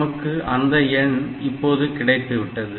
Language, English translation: Tamil, So, we have got the number